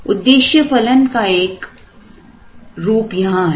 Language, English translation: Hindi, One form of the objective function is kept here